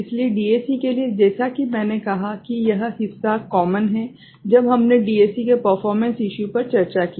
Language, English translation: Hindi, So, for DAC as I said this part is common, when we discussed DAC performance issues